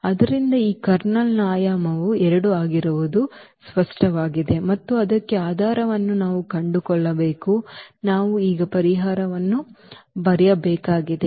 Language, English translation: Kannada, So, the dimension of this Kernel is clear that is going to be 2 and we have to find the basis for that we have to write down solution now